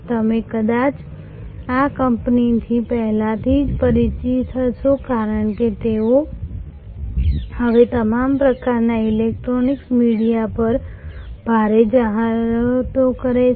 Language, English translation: Gujarati, You might be already familiar with this company, because they are now heavily advertising on all kinds of electronic media